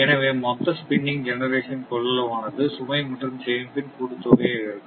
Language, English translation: Tamil, So, total spinning generation capacity is equal to load plus reserve